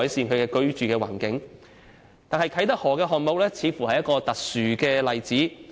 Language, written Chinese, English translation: Cantonese, 不過，啟德河項目似乎是一個特殊例子。, However Kai Tak River seems to be an isolated case